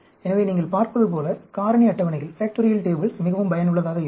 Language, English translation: Tamil, So, you see, the factorial tables are extremely useful